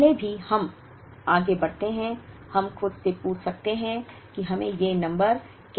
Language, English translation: Hindi, Even before, we proceed further; we could ask ourselves how did we get these numbers